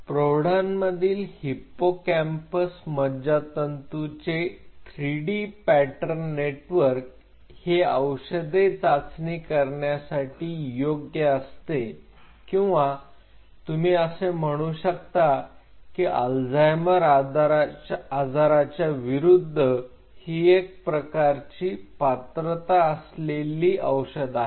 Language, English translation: Marathi, 3D pattern network of adult hippocampal neuron as test bed for screening drugs or you can say potential drug candidates against Alzheimer’s disease